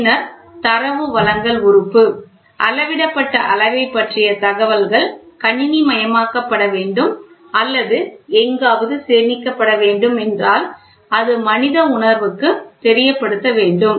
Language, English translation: Tamil, So, then the Data Presentation Element; if the information about the measured quantity is to be computerized or is to be stored somewhere so, then is to human sense it is always there